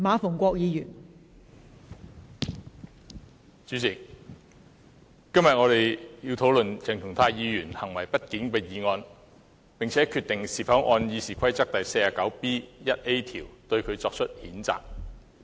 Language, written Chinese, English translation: Cantonese, 代理主席，今天我們要討論鄭松泰議員行為不檢的議案，並決定是否按《議事規則》第 49B 條，對他作出譴責。, Deputy President today we discuss the motion on the misbehaviour of Dr CHENG Chung - tai and decide whether we should censure Dr CHENG according to Rule 49B1A of the Rules of Procedure